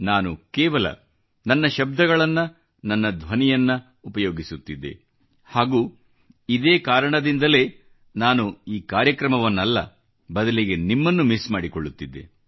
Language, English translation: Kannada, I just used my words and my voice and that is why, I was not missing the programme… I was missing you